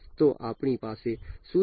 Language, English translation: Gujarati, So, we have what